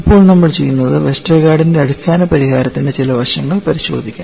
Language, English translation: Malayalam, Now, what we will do is, we will also have a look at some aspects of the basic solution by Westergaard